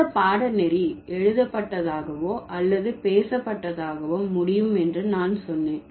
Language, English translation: Tamil, So, I told you, discourse could be either written or spoken